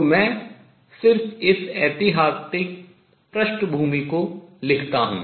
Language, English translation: Hindi, So, let me just write this historical background